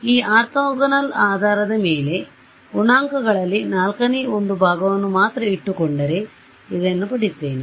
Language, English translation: Kannada, In this orthogonal basis, if I keep only one fourth of the coefficients only one fourth I get this